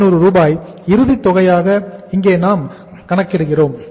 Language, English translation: Tamil, 67,500 is the final amount here we are calculating